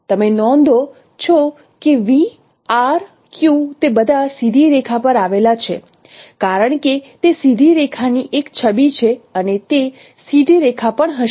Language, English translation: Gujarati, You note, VRQ, they all lie on a straight line because it is an image of a line, a page of a straight line on and that would be also a straight line